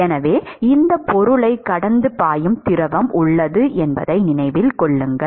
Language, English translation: Tamil, So, remember that there is fluid which is flowing past this object